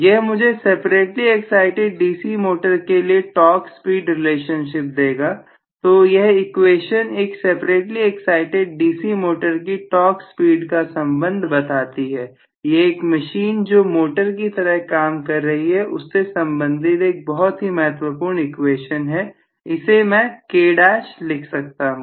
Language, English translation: Hindi, This gives me the torque speed relationship of a separately excited DC motor, so this is the governing equation for the torque speed relationship of a separately excited DC motor, so this is essentially the important relationship for a machine which is working as motor, ok k dash I can write this as a k dash thank you